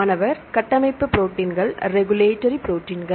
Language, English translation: Tamil, Structural proteins, regulatory proteins